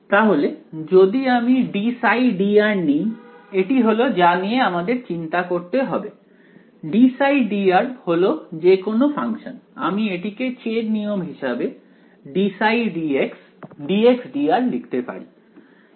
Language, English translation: Bengali, So, if I take d psi by d r that is what I want to worry about d psi by d r psi is any function, I can write it by chain rule as d psi by d x d x by d r right